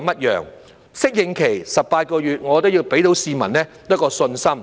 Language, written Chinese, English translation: Cantonese, 在適應期的18個月，我認為要能給市民一個信心。, During the 18 - month phasing - in period I think the authorities have to build up public confidence